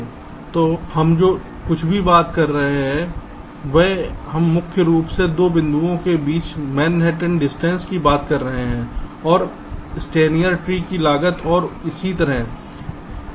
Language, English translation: Hindi, so whatever we are talking about there, we were mainly talking about how much was the total manhattan distance between the two points, steiner tree cost and so on and so forth